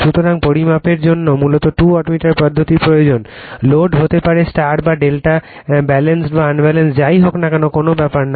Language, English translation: Bengali, So, basically you need two wattmeter method for measuring the, load maybe star or delta Balanced or , Unbalanced does not matter